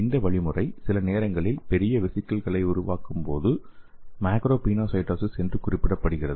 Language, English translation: Tamil, So this mechanism sometimes referred to as macropinocytosis for larger vesicle formation